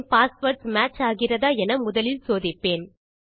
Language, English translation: Tamil, The first check I want to do is to see if my passwords match